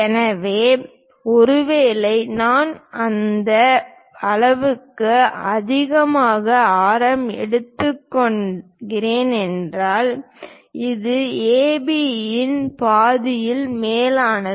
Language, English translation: Tamil, So, perhaps I pick this much radius, which is more than half of AB